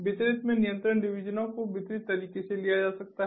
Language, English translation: Hindi, in the distributed the control divisions can be taken in a distributed manner